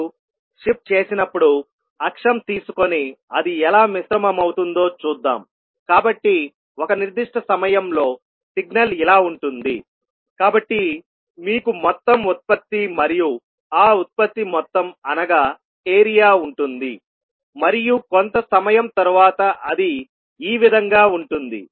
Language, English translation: Telugu, So when you shift, let us take the axis and see how it is getting mixed, so at one particular time the signal would be like this so you will have total product and the sum of those product which is the area like this and then after some time this will become like this, right